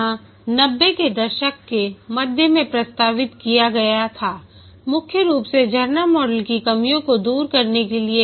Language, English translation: Hindi, It was proposed in mid 90s mainly to overcome the shortcomings of the waterfall model